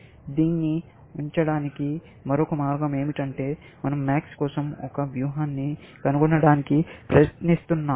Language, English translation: Telugu, Another way to put it is that we are trying to find a strategy for max